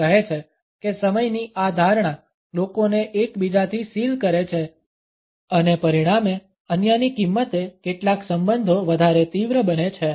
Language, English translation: Gujarati, He says that this perception of time seals people from one another and as a result intensifies some relationships at the cost of others